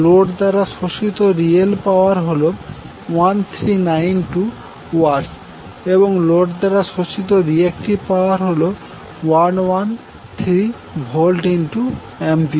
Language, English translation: Bengali, So what you can write the real power absorbed by the load is 1392 Watts and the reactive power absorbed by the load is 1113 VAR